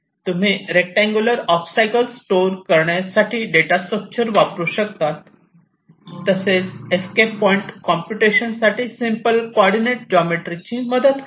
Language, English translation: Marathi, you have the data structure to store the rectangular obstacles and just using simple coordinate geometry you can identify this escape points right